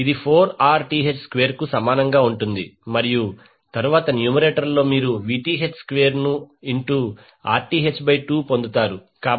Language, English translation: Telugu, This will be equal to 4Rth square and then in numerator you will get Vth square into Rth by 2